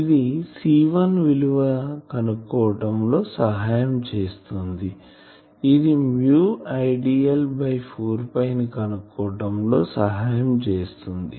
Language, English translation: Telugu, So, this helps me to find the value of C1 is nothing, but mu not Idl by 4 pi